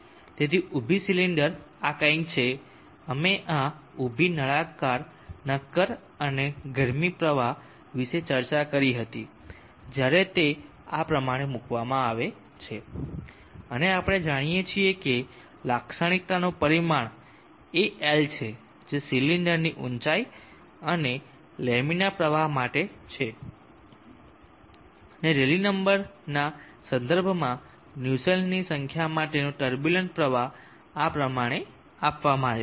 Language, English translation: Gujarati, Is something like this we had discussed about the vertical cylindrical solid and the heat flow when it is placed in this fashion and we know that the characteristic dimension is l which is the height of the cylinder and for laminar flow and the turbulent flow the relationship for the Nussle’s number with respect to the rally number is given in this fashion